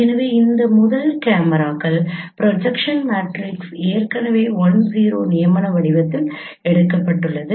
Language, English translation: Tamil, So, first cameras projection matrix is already taken as I 0 in the canonical form